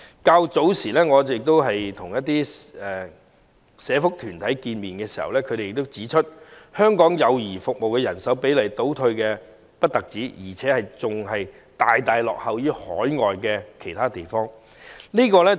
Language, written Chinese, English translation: Cantonese, 我早前曾會見一些社福團體，他們亦指出香港幼兒服務的人手比例不但倒退，更大大落後於其他海外地方。, I met with some social welfare organizations earlier and they also pointed out that the manning ratios for child care services in Hong Kong was not only regressing but also lagging far behind other overseas places